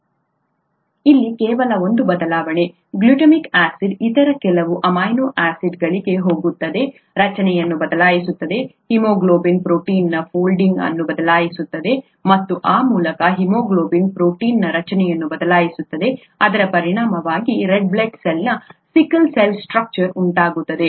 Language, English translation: Kannada, Just one change here, glutamic acid going to some other amino acid, changes the structure, the folding of the haemoglobin protein and thereby changes the structure of the haemoglobin protein, as a result it, I mean, a sickle cell structure of the red blood cell results which is unable to carry oxygen through haemoglobin